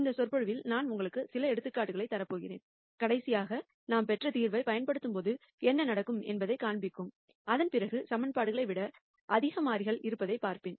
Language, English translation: Tamil, In this lecture I am going to give you some examples for that case show you what happens when we apply the solution that we derived last time, and then after that I will go on to look at the case of more variables than equations